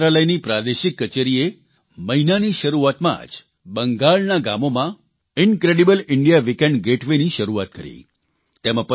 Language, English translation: Gujarati, The regional office of the Ministry of Tourism started an 'Incredible India Weekend Getaway' in the villages of Bengal at the beginning of the month